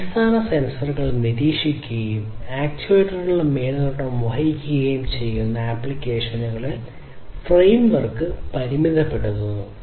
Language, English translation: Malayalam, The framework is limited to applications which monitor basic sensors and supervise the actuators